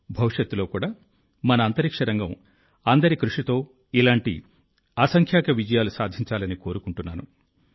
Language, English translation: Telugu, I wish that in future too our space sector will achieve innumerable successes like this with collective efforts